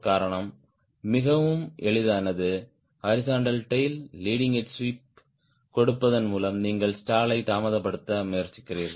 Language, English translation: Tamil, reason is very simple: that by giving leading a sweep to the horizontal tail you are trying to delay the stall